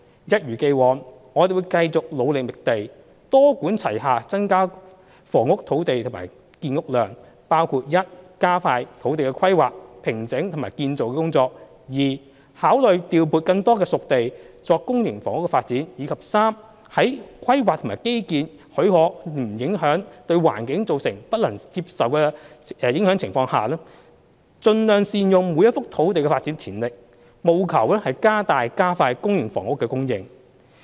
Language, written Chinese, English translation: Cantonese, 一如既往，我們會繼續努力覓地，多管齊下增加土地供應和建屋量，包括 i 加快土地規劃、平整及建造工作；考慮調撥更多"熟地"作公營房屋發展；及在規劃和基建許可及不會對環境造成不能接受的影響的情況下，盡量善用每一幅土地的發展潛力，務求加大加快公營房屋的供應。, As always we will continue our efforts in identifying sites to increase land supply and housing production through a multi - pronged approach which includes i speeding up land planning and site formation and construction; ii considering allocating more spade - ready sites for public housing development; and iii optimizing the development potential of each site where planning and infrastructure permit and without compromising the environmental quality to an unacceptable extent with a view to increasing and speeding up supply of public housing